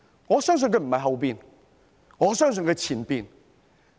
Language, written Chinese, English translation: Cantonese, 我相信不是後者，我相信是前者。, I do not think it is the latter; I think it is the former